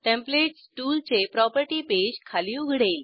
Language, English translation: Marathi, Templates tool property page opens below